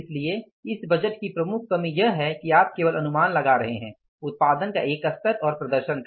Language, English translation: Hindi, So, major limitation of this budget is that you are anticipating only one level of production and the performance, only one level of production and performance